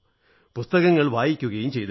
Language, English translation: Malayalam, And I used to read books